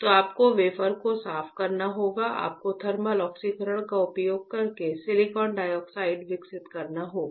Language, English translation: Hindi, So, you have to clean the wafer, you have to grow silicon dioxide using thermal oxidation